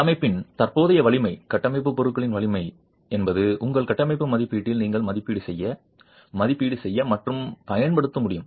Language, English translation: Tamil, The existing strength of the structure, strength of the structural materials is something that you should be able to assess, evaluate and use in your structural assessment